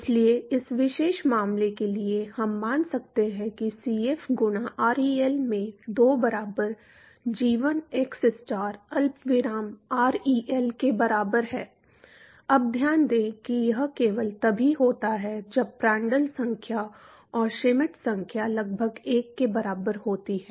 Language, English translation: Hindi, So, for this particular case, we could assume that Cf into ReL by 2 equal to, equal to g1 xstar comma ReL, now note that this is only when Prandtl number and Schmidt number almost equal to 1